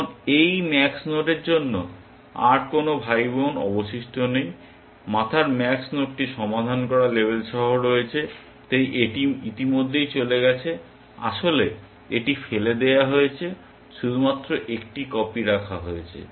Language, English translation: Bengali, Now, there are no more siblings left for this max node at the head is the max node with the label solved so, this is already gone away actually, it is been thrown away, only one copy is been kept it is